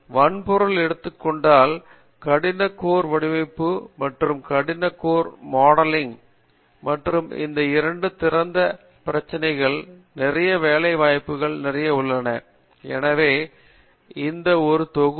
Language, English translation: Tamil, Hardware if you take, there is hard core design and hard core modeling and these two have lot of open problems and lot of job opportunities, so this one set